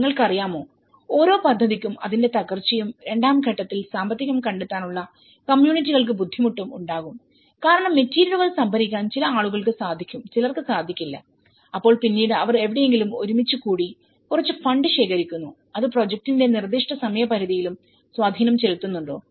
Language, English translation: Malayalam, You know, every project will have its downturns, difficulty for communities for finding finances in the stage two because what they do is in order to procure the materials some people are able to afford some people may not and then they used to collectively do someplace or shows to gather some funds and that has also has an impact on the specific deadlines of the project